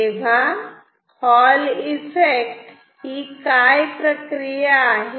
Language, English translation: Marathi, So, what is the phenomena